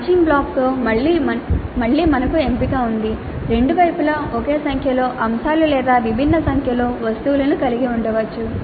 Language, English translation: Telugu, Again in the matching blocks we have a choice both sides can have same number of items or different number of items